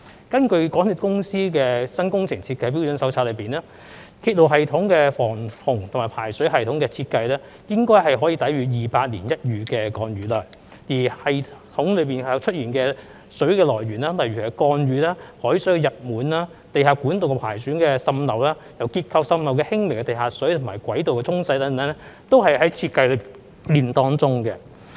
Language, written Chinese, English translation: Cantonese, 根據港鐵公司的《新工程設計標準手冊》，鐵路系統的防洪和排水系統設計應該可以抵禦200年一遇的降雨量，而在鐵路系統中出現的水的來源包括降雨、海水溢滿、地下管道的破損滲漏，以及因結構滲漏而出現的輕微地下水和軌道沖洗等，這些全部在設計時已有考慮。, According to MTRCLs New Works Design Standard Manual the flood protection and drainage systems for railway systems are designed to withstand rainfall with a return period of one in 200 years . The water present in railway systems comes from rainwater overflow of seawater damage and leakage of underground pipes a small amount of groundwater due to leakage in structures washing of railway tracks etc . All these factors have been taken into account in the design